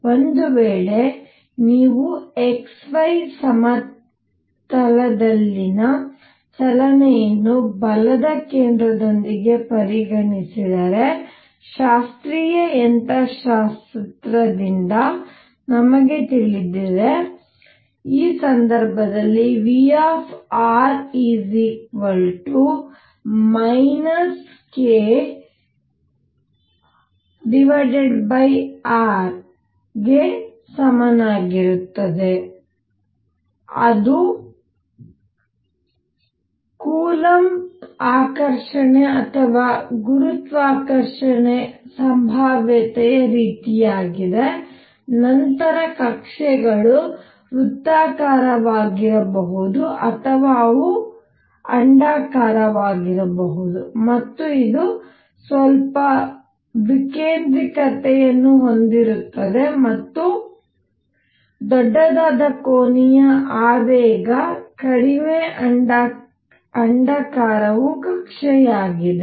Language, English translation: Kannada, What is happening is that if you consider the motion in the x y plane with centre of force, we know from classical mechanics that in this case if V r is equal to minus k over r that is it is an attractive coulomb or gravitation kind of potential, then the orbits are like this either they could be circular or they could be elliptical and this has some eccentricity and larger the angular momentum less elliptical is the orbit